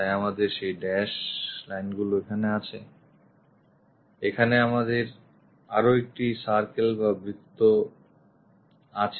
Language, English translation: Bengali, So, we have those dashed lines, here we have one more circle